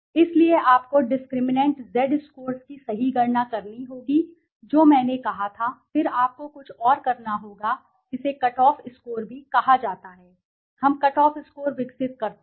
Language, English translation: Hindi, So you have to calculate discriminant Z scores right which I said and then you have to something also is called a cut off score, we develop a cut off score